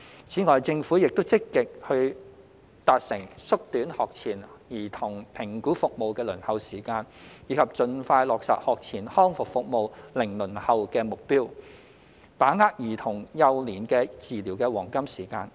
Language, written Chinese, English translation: Cantonese, 此外，政府亦正積極達成縮短學前兒童評估服務的輪候時間，以及盡快落實學前康復服務"零輪候"的目標等，把握兒童幼年的治療黃金時間。, In addition the Government is actively working towards the goals of shortening the waiting time for assessment services for pre - school children and expeditiously implementing the target of zero waiting time for pre - school rehabilitation services so as to seize the golden opportunity to treat children in their early years